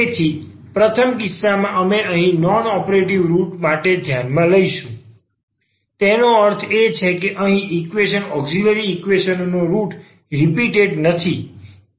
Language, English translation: Gujarati, So, first case we will consider here for non repeated roots; that means, the roots of this auxiliary equations root of this equation here are non repeated